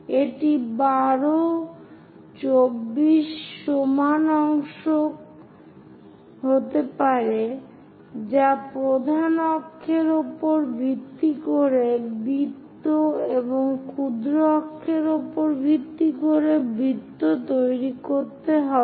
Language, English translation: Bengali, It can be 12, 24 equal number of parts one has to make it for both the major axis base circle and also minor axis base circle